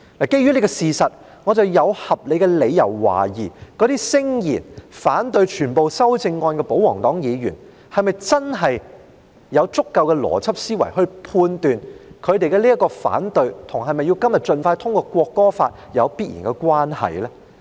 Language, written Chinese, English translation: Cantonese, 基於這個事實，我有合理的理由懷疑，那些聲言反對全部修正案的保皇黨議員是否真的有足夠的邏輯思維來判斷，他們對修正案的反對，與是否今天要盡快通過《條例草案》有必然關係呢？, Given this fact I have reasons to doubt whether those royalist Members who claimed that they would vote down all the amendments are truly capable of making a judgment through logical thinking as to whether their opposition to the amendments is definitely linked to the need for the Bill to be passed expeditiously today or otherwise